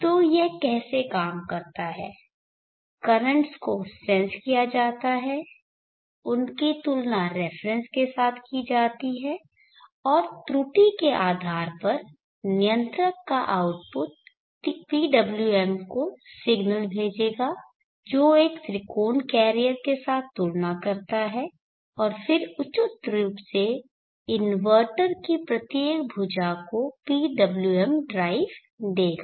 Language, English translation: Hindi, So how this work is that the currents are sensed compared with a reference and based on the error the controller output will send the signal to the PWM which compares with the triangle carrier and then appropriately gives the PWM drive to each of the arms of the inverter